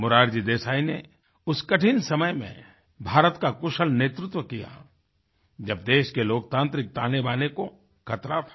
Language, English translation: Hindi, Morarji Desai steered the course of the country through some difficult times, when the very democratic fabric of the country was under a threat